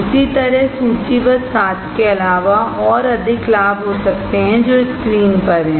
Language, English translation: Hindi, In the same way, there can be more advantage other than 7 listed on the screen